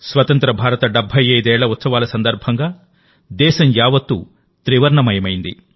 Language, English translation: Telugu, In this campaign of 75 years of independence, the whole country assumed the hues of the tricolor